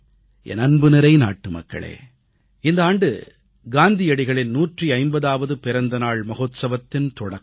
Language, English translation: Tamil, My dear countrymen, this year Mahatma Gandhi's 150th birth anniversary celebrations will begin